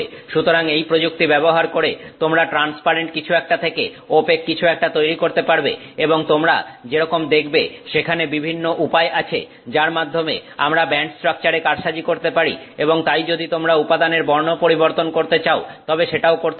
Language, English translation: Bengali, So, you can using these techniques you can make something go from transparent to opaque and as you will see there are ways in which we can manipulate the band structure and therefore you can even change the color of the material if you desire